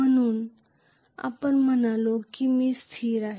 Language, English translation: Marathi, So because of which we said i is constant